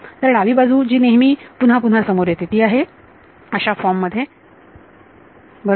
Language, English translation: Marathi, So, left hand side term which appears again and again is of this form right